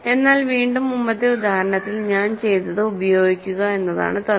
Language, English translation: Malayalam, But again, the trick is to use what I have done in the previous example